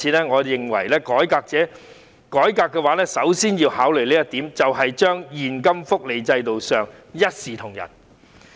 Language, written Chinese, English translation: Cantonese, 我認為如要改革，首先要考慮的，便是把現金福利制度設定為一視同仁。, If reforms are made I think the primary consideration is to treat everyone fairly under the cash benefit system The second element is to bring the efficacy of MPF into full play